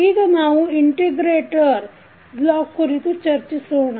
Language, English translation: Kannada, Now, let us talk about the integrator block